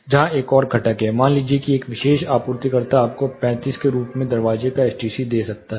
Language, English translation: Hindi, There is another component here say particular supplier might give you STC of the door as 35